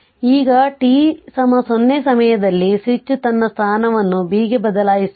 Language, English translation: Kannada, Now, at time t is equal to 0, the switch changes its position to B